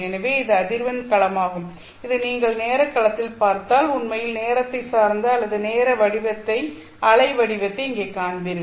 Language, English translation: Tamil, If you look at this in the time domain you might actually see a time dependent or a time waveform here